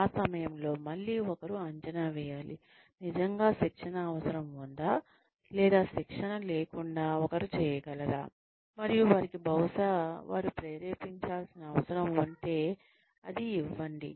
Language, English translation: Telugu, At that point, again, one needs to assess, whether there is really a need for training, or, whether the one can do without training, and give them, maybe, if they just need to be motivated